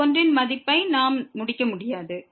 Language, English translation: Tamil, We cannot conclude the value of this one